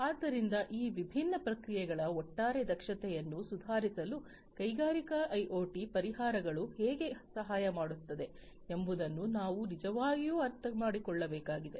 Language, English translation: Kannada, So, what needs to be done is we need to really understand that how industrial IoT solutions can help in improving the overall efficiency of these different processes